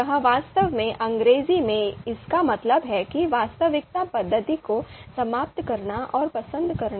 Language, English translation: Hindi, This in English actually means elimination and choice expressing reality method